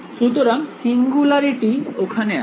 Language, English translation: Bengali, So, this is singularity there